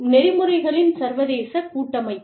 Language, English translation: Tamil, International framework of ethics